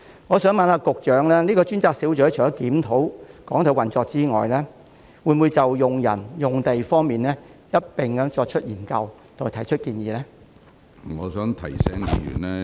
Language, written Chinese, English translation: Cantonese, 我想請問局長，這個專責小組除了檢討港台的運作外，會否就人手和用地方面一併進行研究及提出建議？, May I ask the Secretary whether the dedicated team will apart from reviewing the operation of RTHK conduct a joint study on its manpower and premises and give some advice?